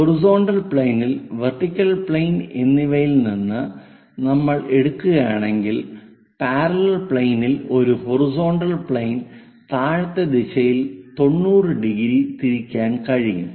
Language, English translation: Malayalam, From the vertical plane and horizontal plane, if we are taking if we can rotate a parallel plane on the horizontal thing by 90 degrees in the downward direction